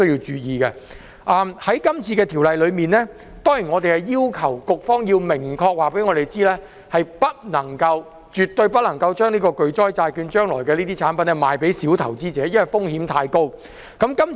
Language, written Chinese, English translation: Cantonese, 在有關這條例草案，議員要求局方要明確告訴我們，不能夠——絕對不能夠——將巨災債券的產品售予小投資者，因為風險太高。, With regards to this Bill Members requested the authorities to explicitly tell us that catastrophe bond products should not absolutely not be sold to retail investors due to the high risk involved